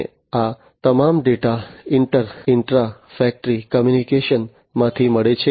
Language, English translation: Gujarati, And all these data from inter , intra factory communication and so on